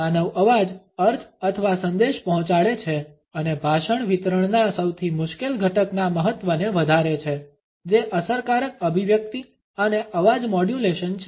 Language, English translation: Gujarati, Human voice conveys the meaning or message and heightens the importance of the most difficult element of a speech delivery that is effective articulation and voice modulation